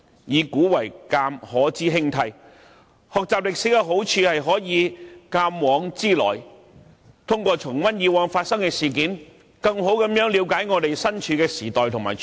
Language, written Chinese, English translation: Cantonese, "以古為鏡，可知興替"，學習歷史的好處是可以鑒往知來，通過重溫以往發生的事件，更好地了解我們身處的時代和處境。, As the saying goes using history as a mirror one can know the rise and fall of dynasties . Learning history is beneficial because reflecting on the past sheds light on the present . By reviewing on past events we can better understand the situations in our present time